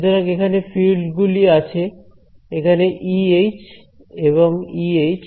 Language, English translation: Bengali, What I do is; so, here fields where E H and E H 22 11